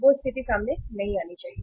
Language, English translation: Hindi, That situation should also not come up